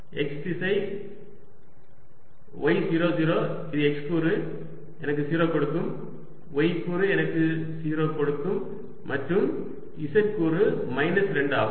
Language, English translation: Tamil, this, which is equal to x component, will give me zero, y component will give me zero and z component is minus two